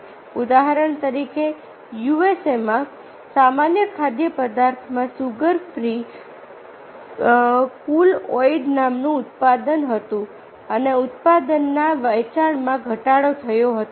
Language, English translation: Gujarati, for example, in u s a general food had a product called sugar free cool aid and the product sale of the product declined